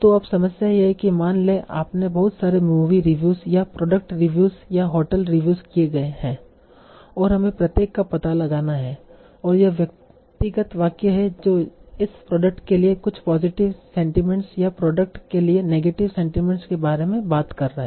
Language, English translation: Hindi, So now the problem here is suppose you are given a lot of movie reviews or say product reviews or hotel reviews and you'll find out each individual sentence is it talking about some positive sentiments for this product or negative sentiments for the product